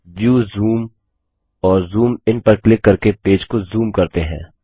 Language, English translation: Hindi, So lets zoom into the page by clicking on View Zoom and Zoom in